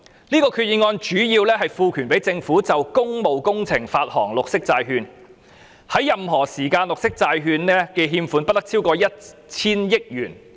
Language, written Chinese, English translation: Cantonese, 這項決議案主要是賦權政府就工務工程發行綠色債券，在任何時間綠色債券的欠款不得超過 1,000 億元。, This Resolution mainly seeks to authorize the Government to issue green bonds for public works and the outstanding amount of borrowings for green bonds shall not exceed 100 billion at any time